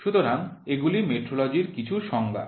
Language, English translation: Bengali, So, there are certain definitions for metrology